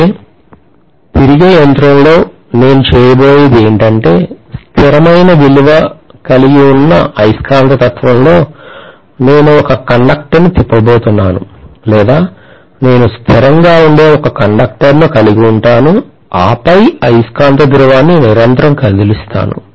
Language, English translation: Telugu, Whereas in a rotating machine, invariably, what I am going to do is, to probably have a constant value of magnetism and then I am going to move a conductor, or, I am going to have a conductor which is stationary and then move a magnetic pole continuously, rotate it